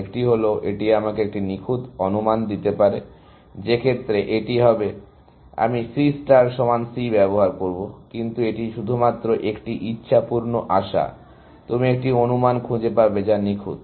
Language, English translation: Bengali, One is, it can give me a perfect estimate, in which case, this would be; I would use an equality sign C equal to C star, but that is only a wishful hope, that you will find an estimate, which is perfect